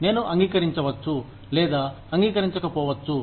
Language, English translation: Telugu, I may or may not agree, with it